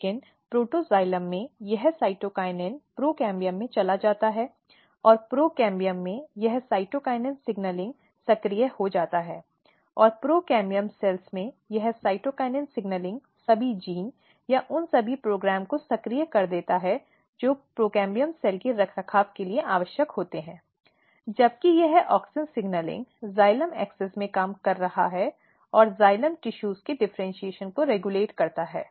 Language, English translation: Hindi, But this happens in the protoxylem, but this cytokinin move to the procambium and in procambium this cytokinin signaling is getting activated and this cytokinin signaling in the procambium cells activate all the genes or all the programs which is required for procambium cell maintenance; whereas, this auxin signaling is working in the xylem axis and regulating the differentiation of xylem tissues